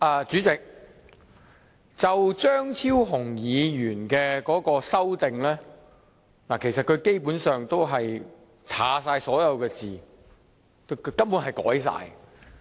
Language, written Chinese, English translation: Cantonese, 主席，張超雄議員的修正案基本上將原議案所有內容刪去，根本是全部修改。, President the amendment proposed by Dr Fernando CHEUNG basically deletes all the contents of the original motion . He almost amends every word in it